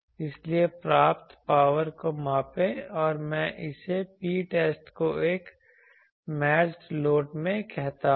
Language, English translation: Hindi, So, measure the received power let me call it P test into a matched load